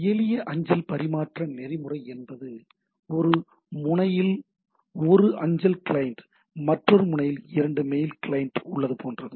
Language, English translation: Tamil, So, simple mail transfer protocol at it stands for is something like that, we have a mail client at one end, 2 mail client at one end